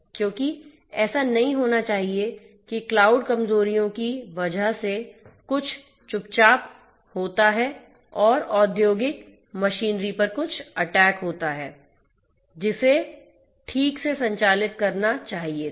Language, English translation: Hindi, Because it should not happen that there is some sneaking in that happens through the cloud due to some cloud vulnerability and there is some attack on the industrial machinery that is supposed to operate you know properly